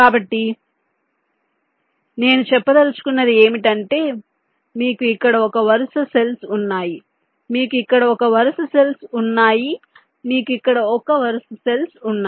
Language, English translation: Telugu, so what i mean to say is that you have one row up cells here, you have one row up cells here